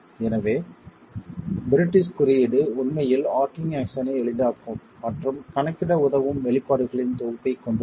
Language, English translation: Tamil, So, the British code actually has a set of expressions that simplifies and helps in accounting for the arching action